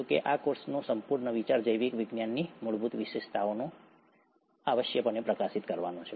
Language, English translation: Gujarati, However, the whole idea of this course is to essentially highlight the basic features of biological life